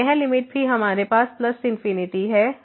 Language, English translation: Hindi, So, this limit will be also plus infinity